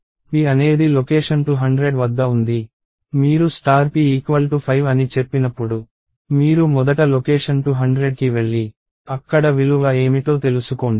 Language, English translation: Telugu, So, p is at location 200, when you say star p equals 5, you first go to location 200 and find out, what is the value there